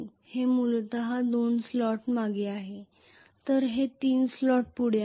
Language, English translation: Marathi, So this is essentially 2 slots behind whereas this is 3 slot forward,ok